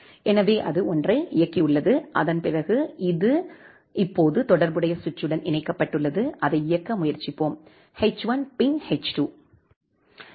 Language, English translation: Tamil, So, it has executed that one, and after that it has getting connected with the corresponding switch now, let us try to run it; h1 ping h2